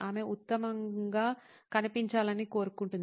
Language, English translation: Telugu, She wants to look her best